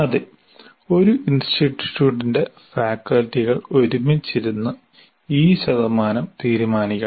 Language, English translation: Malayalam, Yes, the faculty of a particular institute should sit together and decide these percentages